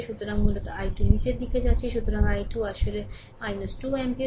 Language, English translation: Bengali, So, basically i 2 going downwards; so i 2 actually is equal to minus 2 ampere right